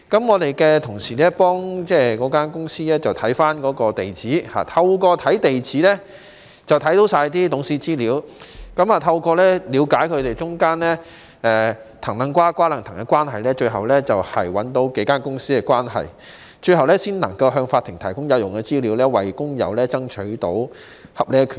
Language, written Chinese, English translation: Cantonese, 我們的同事透過查閱該公司的地址，看到全部董事的資料，了解他們當中"藤掕瓜、瓜掕藤"的關係，最終找出數間公司的關係，最後才能夠向法庭提供有用的資料，為工友爭取到合理權益。, With the access to the addresses of the companies our colleagues were able to obtain the information of all the directors and got to know the intricate relationships among them and subsequently revealed the relationships among these companies . We could eventually provide useful information to the court and uphold the legitimate rights of the worker